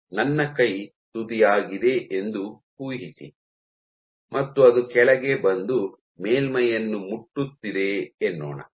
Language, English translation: Kannada, Imagine my hand is the tip and it is coming down and touching the surface